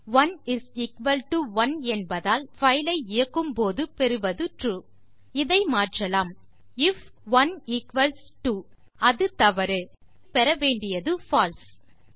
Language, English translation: Tamil, Since 1 is equal to 1 what we get when we run our file is True Let us change this, if 1 equals 2, which it doesnt, then well get False